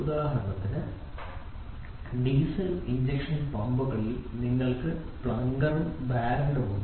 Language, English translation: Malayalam, For example, in diesel injection pumps you have plunger and barrel